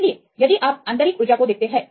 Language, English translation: Hindi, So, if you look into the internal energy